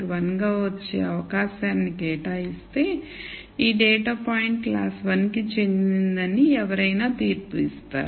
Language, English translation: Telugu, 1 then one would make the judgment that this data point is likely to belong to class 1